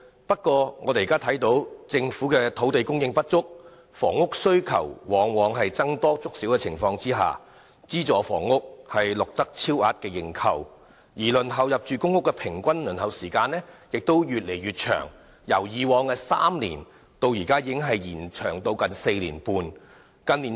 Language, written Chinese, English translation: Cantonese, 不過，政府土地供應不足，對房屋的需求在僧多粥少的情況下，資助房屋往往錄得超額認購；入住公屋的平均輪候時間亦越來越長，已經由以往的3年延長至現時的近4年半。, However given the shortage of government land and that the housing demand far exceeding the supply oversubscription of subsidized sale flats is common; the average waiting time for PRH is also becoming longer and longer from three years in the past to almost 4.5 years at present